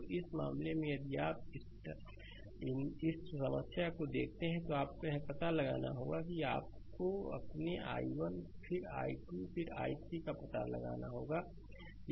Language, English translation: Hindi, So, in this case, if you look into that for this problem, you have to find out your you have to find out your i 1, then i 2, then i 3 right